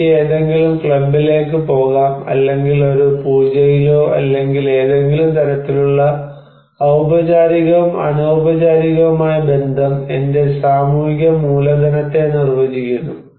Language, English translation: Malayalam, Like I can go to some club or maybe in a puja or in so any kind of formal and informal relationship defines my social capital